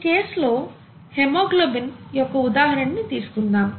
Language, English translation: Telugu, Let us take an example here in the case of haemoglobin